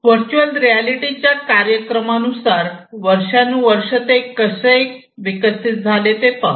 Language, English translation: Marathi, So, in terms of the chronological order of virtual reality, how it you know it has evolved over the years